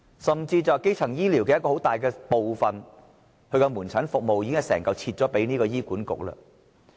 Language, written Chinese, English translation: Cantonese, 甚至基層醫療的一個主要部分，即門診服務都已全部分割給醫院管理局。, Furthermore outpatient services which is a major constituent of primary health care have been fully taken up by the Hospital Authority HA